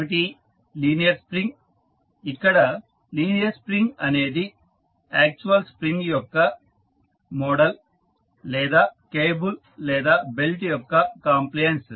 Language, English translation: Telugu, One is linear spring, so linear spring is the model of actual spring or a compliance of cable or belt